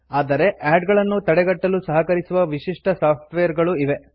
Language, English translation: Kannada, But there are specialized software that help to block ads